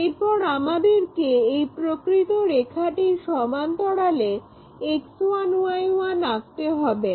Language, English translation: Bengali, So, parallel to the true line, we are drawing this X 1, Y 1 axis